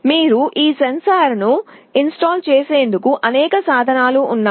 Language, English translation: Telugu, There are many applications where you need to install a sensor